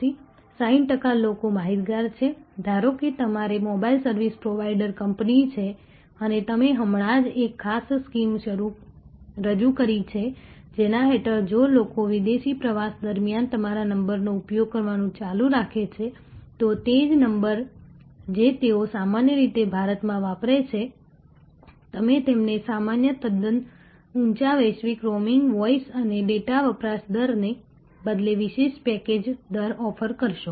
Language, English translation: Gujarati, So, 60 percent people are aware, suppose you are a mobile service provider company and you have just now introduced a particular scheme under which, that if people continue to use your number during foreign travel, the same number that they normally use in India, you will offer them a special package rate instead of the normal quite high global roaming voice and data usage rate